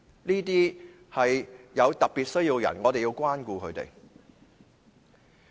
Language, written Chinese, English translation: Cantonese, 這些是有特別需要的人士，我們要關顧他們。, Since these people have special needs we have to take care of them